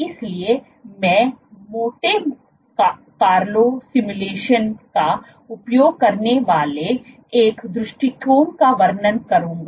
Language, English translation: Hindi, So, I will describe one approach where use Monte Carlo simulations